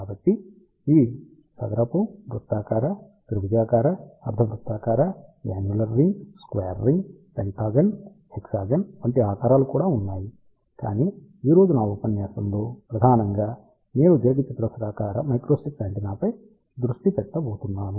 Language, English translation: Telugu, So, these are square, circular, triangular, semicircular, annular ring, square ring in fact, there are shapes like pentagon, hexagon and so on also, but today in my lecture I am going to focus mainly on rectangular microstrip antenna